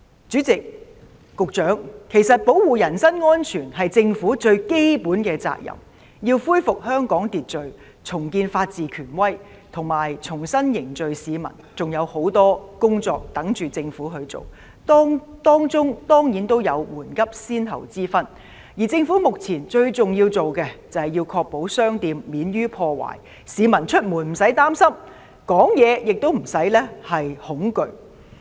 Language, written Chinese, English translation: Cantonese, 主席，局長，保護人身安全是政府最基本的責任，要恢復香港秩序，重建法治權威，以及重新凝聚市民，還有很多工作有待政府處理，當中固然有緩急先後之分，而目前政府必須處理的，最重要是確保商店免被破壞，市民出門無需擔心，說話亦無需恐懼。, President Secretary it is the most basic responsibility of the Government to protect the safety of the people . The Government must restore social order re - establish the authority of the rule of law and rebuild social cohesion . There are a lot more tasks for the Government to undertake and certainly they have to be prioritized and for the time being the most important task of the Government is to ensure that shops are not vandalized and that the public have no qualms about going out and do not feel intimidated in their speech